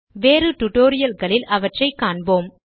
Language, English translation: Tamil, We will encounter some of them in other tutorials